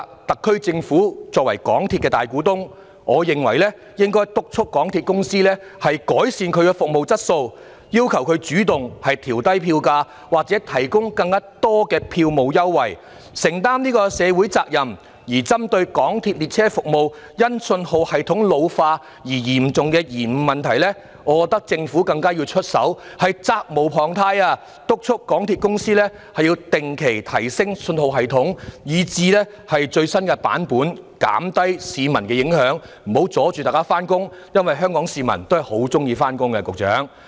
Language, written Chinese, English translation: Cantonese, 特區政府作為港鐵公司的大股東，我認為政府應該督促港鐵公司改善服務質素，要求港鐵公司主動調低票價或提供更多票務優惠，承擔社會責任；而針對港鐵列車服務因信號系統老化而產生的嚴重延誤問題，我覺得政府責無旁貸，要督促港鐵公司定期提升信號系統至最新版本，減低對市民的影響，不要阻礙市民上班，因為香港市民是很喜歡上班的，局長。, As the majority shareholder of MTRCL the SAR Government should urge MTRCL to improve its service quality and request it to proactively lower its fares or provide more ticket concessions so as to shoulder its social responsibility . And regarding serious train service disruptions caused by ageing of the MTR signalling system I hold that the Government has the responsibility to urge MTRCL to regularly upgrade its signalling system to the latest version so as to minimize impact on the public and avoid disruptions to people on their way to work . Secretary Hong Kong people really love to work